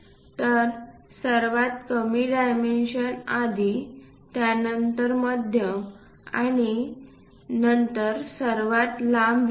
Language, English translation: Marathi, So, lowest dimension first comes then followed by medium and longest one